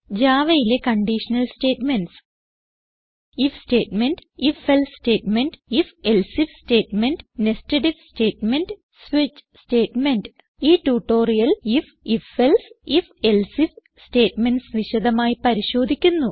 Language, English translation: Malayalam, In Java we have the following conditional statements: * If statement#160 * If...Else statement#160 * If...Else if statement#160 * Nested If statement * Switch statement In this tutorial, we will learn about If, If...Else and If...Else If statements in detail